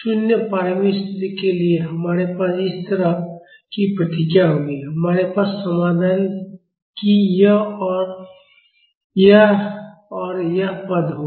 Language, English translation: Hindi, For 0 initial conditions, we will have the response like this, we will have this and this term of the solution